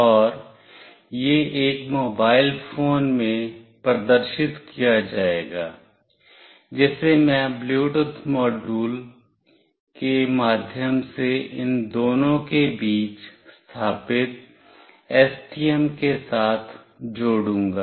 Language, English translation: Hindi, And that will be displayed in a mobile phone, which I will be connecting through the Bluetooth module of with STM that is established between these two